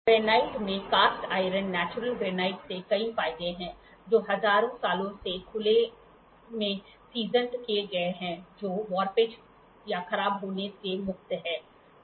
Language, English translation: Hindi, Granite has many advantages of cast iron natural granite that is seasoned in the open for thousands of years is free from warpage or deterioration